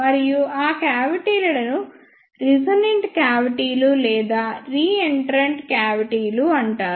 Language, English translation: Telugu, And those cavities are called as resonant cavities or reentrant cavities